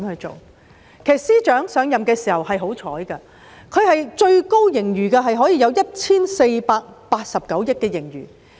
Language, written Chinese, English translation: Cantonese, 陳茂波司長上任的時候很幸運，盈餘最高的時候達 1,489 億元。, At the time when FS Paul CHAN assumed office he was so lucky that the fiscal surplus once reached the highest of 148.9 billion